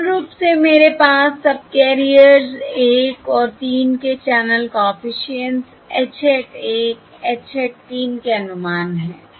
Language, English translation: Hindi, Now we have the estimates of the channel coefficients on all the subcarriers, Basically h hat 1, capital H hat 1 and capital H hat 3